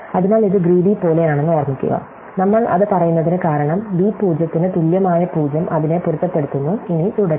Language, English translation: Malayalam, So, remember this is the bit like a greedy thing; we are saying that, because a 0 equal to b 0 match it up, and then proceed